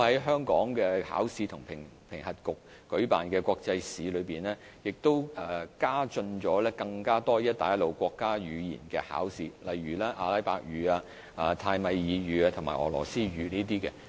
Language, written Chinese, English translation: Cantonese, 香港考試及評核局亦在舉辦的國際試中，引入更多"一帶一路"國家語言的考試，例如阿拉伯語、泰米爾語及俄羅斯語等。, The Hong Kong Examinations and Assessment Authority has also introduced more examinations of national languages of the Belt and Road countries in international examinations under its administration such as Arabic Tamil and Russian